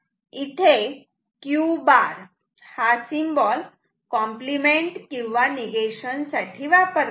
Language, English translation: Marathi, Q bar this bar is the symbol for complement or negation